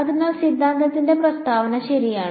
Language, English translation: Malayalam, So, the statement of the theorem is as follows ok